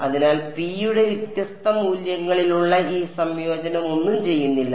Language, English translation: Malayalam, So, this integral over different values of p does not do anything